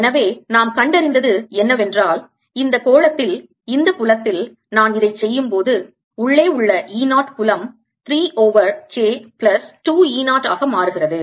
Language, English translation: Tamil, so what we have found is that in this sphere, when i put it in this field e zero, field inside becomes three over k plus two e zero